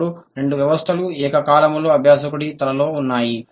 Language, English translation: Telugu, Now both the systems are simultaneously existing in the learner's head